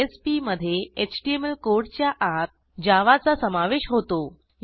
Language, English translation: Marathi, JSPs contain Java code inside HTML code